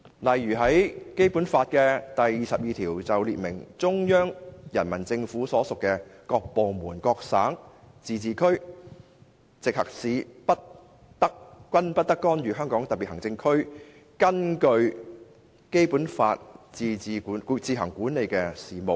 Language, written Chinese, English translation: Cantonese, 例如，《基本法》第二十二條列明，中央人民政府所屬的各部門、省、自治區、直轄市均不得干預香港特別行政區根據《基本法》自行管理的事務。, For example Article 22 of the Basic Law stipulates that no department of the Central Peoples Government and no province autonomous region or municipality directly under the Central Government may interfere in the affairs which the Hong Kong Special Administrative Region administers on its own in accordance with the Basic Law